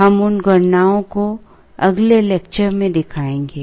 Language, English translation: Hindi, We will show those computations in the next lecture